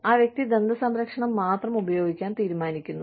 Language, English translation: Malayalam, You know, the person decides to use, only dental care